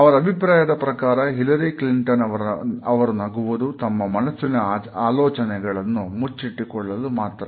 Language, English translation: Kannada, But in her opinion, when Hillary smiles she sometimes covering up where she is really thinking